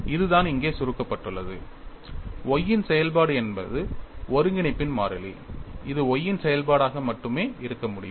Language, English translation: Tamil, And that is what is summarized here; f function of y is the constant of integration which can be a function of y only